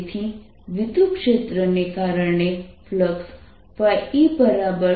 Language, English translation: Gujarati, so electric field is actually e